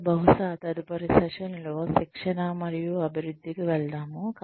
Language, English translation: Telugu, And then, maybe, move on to training and development, for the next session